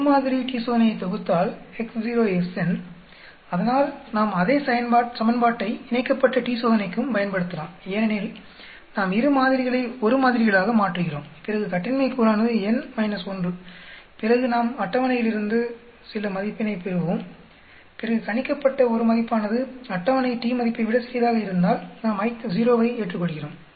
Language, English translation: Tamil, So we can use the same equation for paired t Test also because we are converting two samples into one samples then the degrees of freedom is n minus 1, then we get from the table some t value, then if the table t value and if the t calculated is less than the table we accept H0